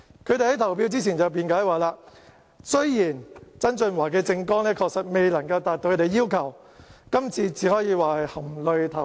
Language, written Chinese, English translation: Cantonese, 他們在投票之前辯解說，雖然曾俊華的政綱確實未能夠達到他們的要求，但只可以說是含淚投票。, They explained before casting their votes that although the election manifesto of John TSANG could not meet their expectations they had no other alternatives but to vote for him in tears